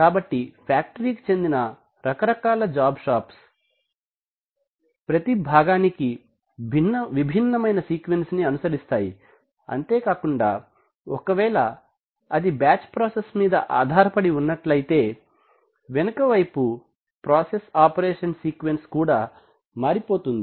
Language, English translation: Telugu, so factory types are job shops, where you know every part requires a different sequence and also could be batch processes were depending on you know back sighs the sequence of process operations will change